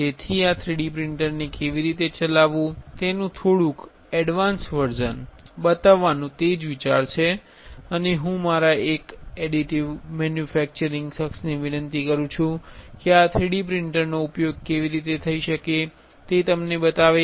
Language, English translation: Gujarati, So, that is the idea of showing you little bit you know little bit of advanced version of how to operate this 3D printer and I request one of my additive manufacturing guy to show it to you how this 3D printer can be utilized, right